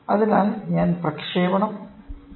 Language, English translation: Malayalam, So, I transmit